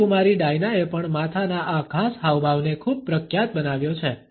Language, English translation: Gujarati, Princess Diana has also made this particular head gesture very famous